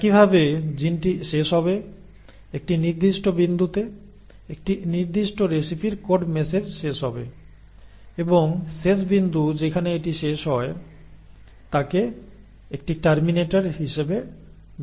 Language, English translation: Bengali, Similarly the gene will end, the code message for a particular recipe will end at a certain point and that end point where it ends is called as a terminator